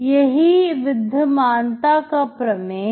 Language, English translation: Hindi, That is what the existence theorem is